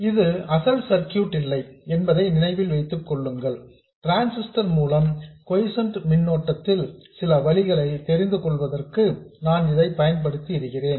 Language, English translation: Tamil, Remember, this is not in the original circuit, I have used it to have some pathway for this current through the transistor